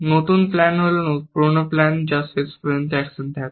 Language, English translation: Bengali, The new plan is an old plan with the action at the end